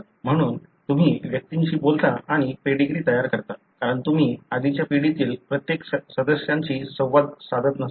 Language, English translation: Marathi, So, you talk to individuals and construct the pedigree, because you may not be interacting with every member of the, the previous generation